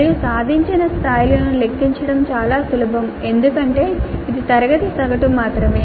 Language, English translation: Telugu, And it is very easy to compute the attainment levels also because it is only the class average